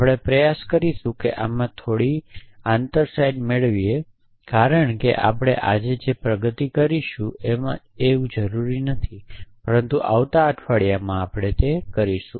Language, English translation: Gujarati, We will try and get some insides into this as we progress not necessarily today, but may be in the next week